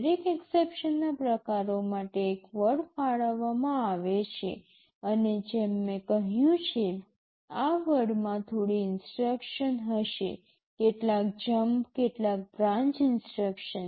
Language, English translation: Gujarati, One word is allocated for every exception type and as I have said, this word will contain some instruction; some jump, some branch instruction